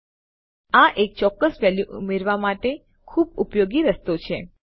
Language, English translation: Gujarati, So yes, this is quite useful way of adding a specific value here